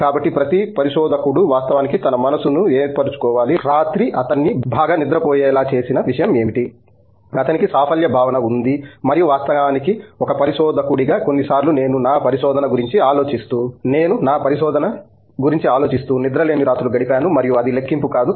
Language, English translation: Telugu, So, every researcher has to actually make up his mind, what is going to make him sleep well that night that he has a sense of accomplishment and of course, as a researcher sometimes I spend sleepless nights thinking about my research so and that doesn’t count